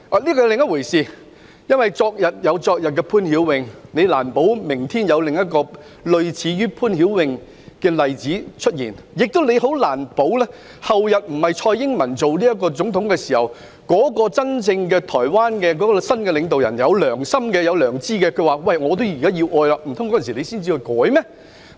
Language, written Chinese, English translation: Cantonese, 這是另一回事，因為昨日有昨日的潘曉穎，難保明天有另一個類似潘曉穎的個案出現，亦難保後天不是由蔡英文擔任總統時，台灣的新領導人真正有良心，願意接收疑犯，難道我們那時才修例嗎？, This was a different matter . Given that we had the POON Hiu - wing case no one could ensure that another similar case would not occur tomorrow nor could one ensure that when TSAI Ing - wen no longer served as the President a new leader in Taiwan with conscience would not be willing to accept the transfer of the suspect . In that case should we initiate the legislative amendment exercise only until then?